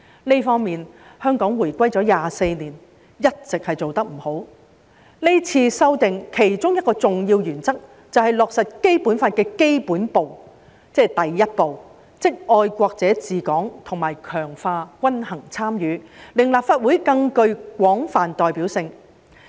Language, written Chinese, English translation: Cantonese, 就這方面，香港回歸了24年，一直做不好，這次修訂的其中一個重要原則，就是落實《基本法》的基本步，即第一步，就是"愛國者治港"及強化均衡參與，令立法會更具廣泛代表性。, It has been 24 years since the handover of Hong Kong yet the work in this respect has left much to be desired . One of the main principles of the amendments proposed this time around is to implement the basic step the first step of the Basic Law which is patriots administering Hong Kong and the reinforcement of balanced participation so that the Legislative Council will be more broadly representative